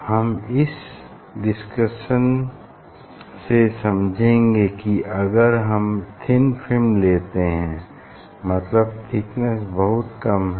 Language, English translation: Hindi, if you take a thin; so thin film, if you take a thin film means thickness is very small